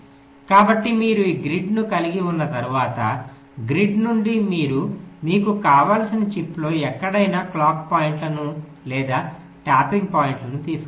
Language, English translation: Telugu, so once you have this grid, from the grid you can take the clock points or tapping points to anywhere in the chip you want